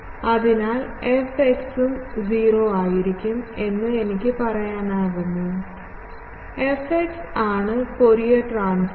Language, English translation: Malayalam, So, can I say fx will be also 0, fx is the Fourier transform